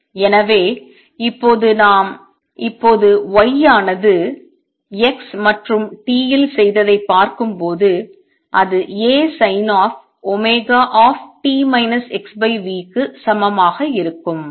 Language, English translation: Tamil, So, again going by what we did just now y at x and t would be equal to A sin of omega t minus x over v